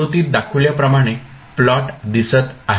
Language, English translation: Marathi, The plot would look like as shown in the figure